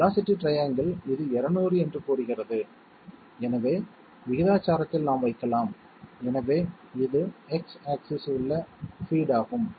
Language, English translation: Tamil, The velocity triangle says that this is 200, so proportionally we can place therefore this is the feed along X axis